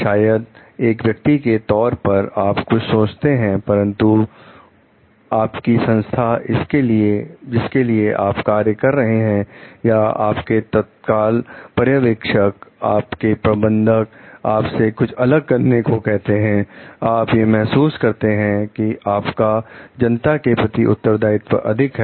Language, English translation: Hindi, Maybe as a person, you are thinking something, but your organization that you are working for or your immediate supervisor, your manager is asking you to do something different, you feel like you have a responsibility towards the public at large